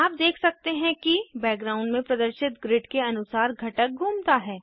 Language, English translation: Hindi, You can see that the component moves according to the grid displayed in the background